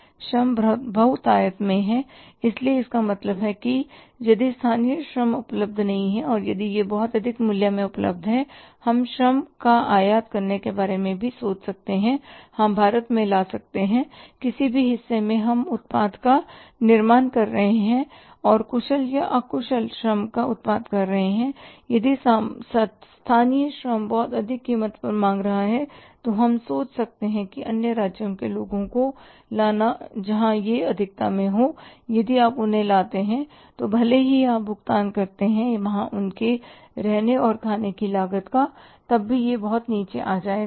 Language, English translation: Hindi, But sometimes what happens that in some markets the labour available is in say you can call it as the labour is in abundance labour is in abundance so it means if the local labour is not available and if it is available at a very high price we can think of even importing the labour we can bring in in India in any part we are manufacturing the product and using the labour may be skilled or unskilled and if the local labour is asking for the very high price we can think of say bringing the people from the other states where it is in surplus and if you bring them even you pay the see their lodging and boarding cost even then it comes down seriously so we can think about whether we can reduce the labour cost because it is the second highest component in this information and even the labour also if you save even the 10% of the cost you are going to save 2,500 rupees